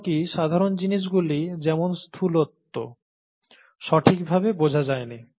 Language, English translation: Bengali, Even the simple things, such as obesity is not understood properly